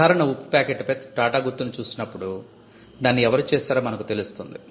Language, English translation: Telugu, So, when we see the Tata mark on a packet of common salt, we know who created it